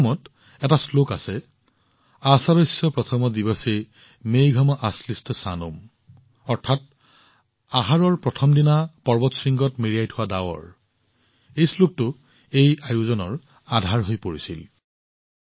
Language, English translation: Assamese, There is a verse in Meghdootam Ashadhasya Pratham Diwase, Megham Ashlishta Sanum, that is, mountain peaks covered with clouds on the first day of Ashadha, this verse became the basis of this event